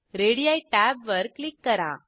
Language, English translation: Marathi, Click on Radii tab